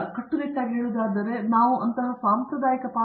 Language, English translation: Kannada, So, strictly speaking we donÕt have really a traditional role as such